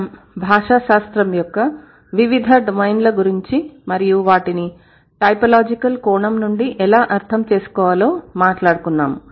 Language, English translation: Telugu, We have been talking about various domains of linguistics and how we are going to approach for it from a typological approach, from a typological perspective, right